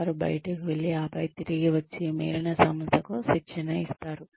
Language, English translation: Telugu, Who goes out, and then comes back, and trains the rest of the organization